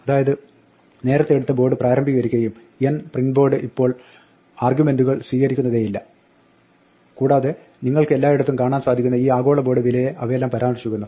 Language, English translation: Malayalam, So initialize earlier took board and n now it just takes n print board does not taken argument at all and all of them are just referring to this global value board which you can see everywhere